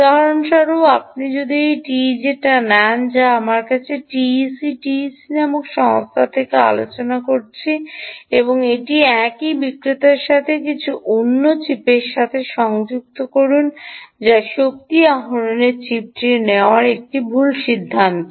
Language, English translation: Bengali, for instance, if you take this teg that we are discussing from this company called t e c tec and connect it to the same vendor, some other chip, ah, which is also energy harvesting chip, is an incorrect decision